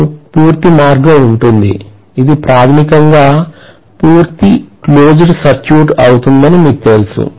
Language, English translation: Telugu, You will have a complete path; you know it will be a complete closed circuit basically